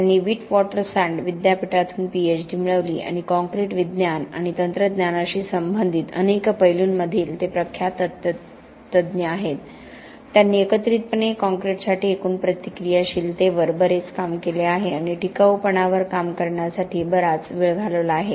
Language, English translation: Marathi, He got his PhD from the University of Witwatersrand and his renowned expert in many aspects related to concrete science and technology, he has done lot of work on aggregate for concrete, on aggregate reactivity and has spent a lot of time working on durability